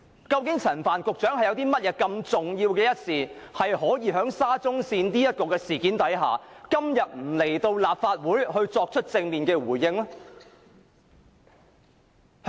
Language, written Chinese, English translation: Cantonese, 究竟陳帆局長有甚麼重要的事情，不出席今天的立法會會議，就沙中線的事件作正面回應？, What important business has hindered Secretary Frank CHAN from attending this Council meeting to respond directly to the SCL incident?